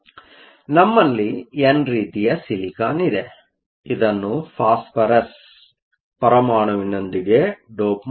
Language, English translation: Kannada, So, We have an n type silicon, which is doped with phosphorus atoms